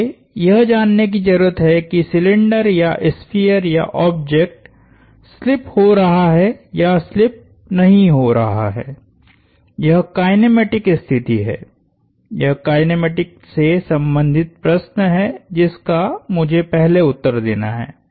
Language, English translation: Hindi, I need to know, if the cylinder or the sphere or the object is slipping or not slipping that is the kinematic condition that is the question related to the kinematics that I have to first answer